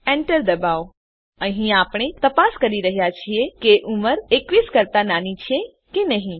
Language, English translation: Gujarati, Press enter Here, we are checking if age is less than 21